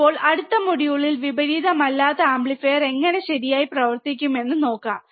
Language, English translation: Malayalam, Now in the next module, let us see how non inverting amplifier would work alright